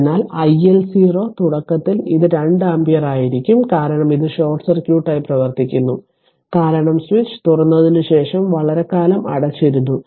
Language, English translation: Malayalam, So, i L 0 initially it will be 2 ampere right it will because, it is it is acting as short short circuit because switch was closed for a long time after that it was open